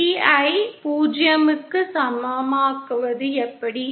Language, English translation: Tamil, How can I make B in equal to 0